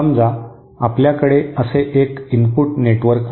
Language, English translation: Marathi, Suppose, you have an input network like this